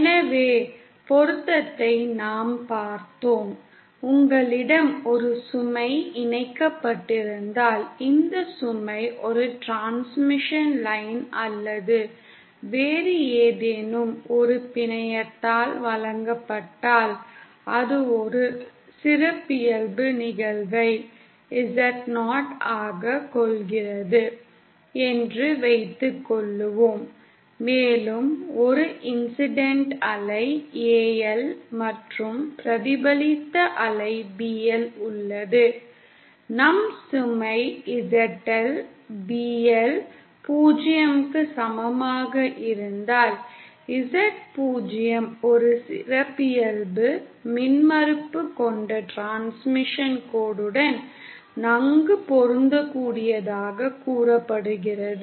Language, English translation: Tamil, So matching we saw; was if you have a load connected and if this load is supplied by a transmission line or any other network which has a characteristic incidence Z 0 say; and there is an incident wave AL and a reflected wave BL then; our load ZL is said to be well matched with respect to the transmission line having a characteristic impedance Z 0, if BL is equal to 0